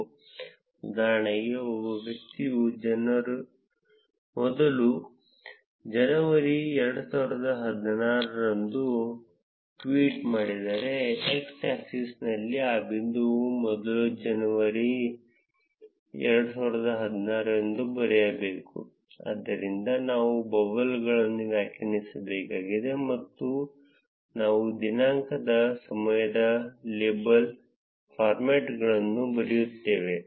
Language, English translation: Kannada, For instance, if a person tweets on first January 2016, I need that point on x axis to be written as first January 2016, so for that we need to define labels, and we write date time label formats